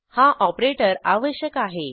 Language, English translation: Marathi, We must use this operator